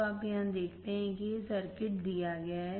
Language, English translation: Hindi, So, you see here this circuit is given